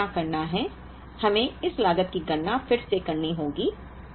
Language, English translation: Hindi, Now, what we have to do is, we have to compute this cost again